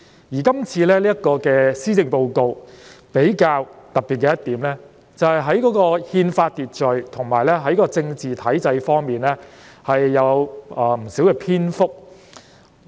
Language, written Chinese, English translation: Cantonese, 而今次這份施政報告比較特別的一點，就是有關憲法秩序及政治體制方面的內容佔了不少篇幅。, A special feature of this Policy Address is that the subjects of constitutional order and political structure have been given quite extensive coverage